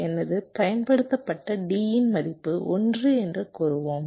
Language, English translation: Tamil, lets say my applied d value is one and my current output value is zero